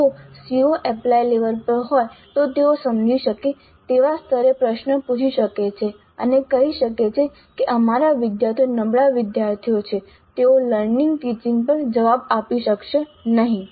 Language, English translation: Gujarati, If the CO is at apply level, they may ask a question at understand level and say that our students are weaker students so they will not be able to answer at the apply level